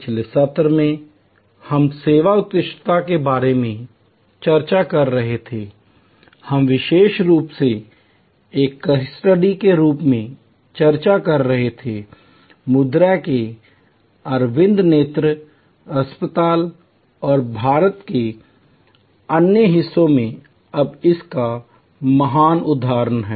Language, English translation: Hindi, Last session we were discussing about Service Excellence, we were particularly discussing as a case study, the great example of Arvind eye hospital in Madurai and other parts of India now